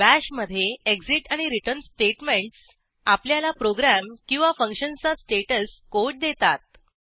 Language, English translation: Marathi, In Bash, exit and return statements gives status code of a function or a program